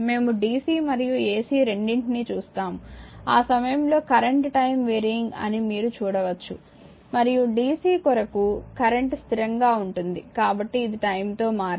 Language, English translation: Telugu, We will see both bc and ac, ac at the time you will see current is time warring right and for dc actually current is constant so, it will not time warring right